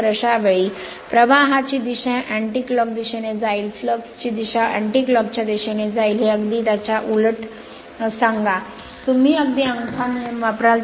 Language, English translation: Marathi, So, in that case the direction of the flux will be anticlockwise, direction of the flux will be anticlockwise say this one, say this one just opposite to this, just opposite to this just you will use the thumb rule